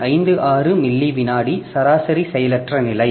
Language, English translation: Tamil, 56 millisecond of average latency